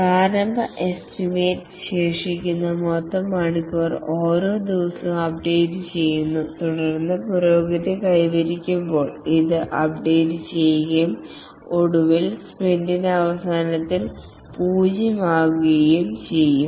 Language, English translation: Malayalam, The total hours remaining initial estimation and then as the progress, this is updated and finally at the end of the sprint should become zero